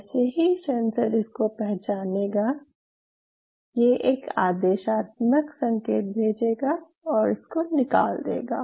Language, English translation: Hindi, Now as soon as this sensor senses this it will send a command signal which will remove this